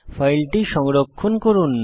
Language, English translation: Bengali, Now save this file